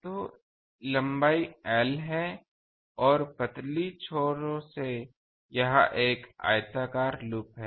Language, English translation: Hindi, So, the length is l, the thin the loops this is a rectangular loop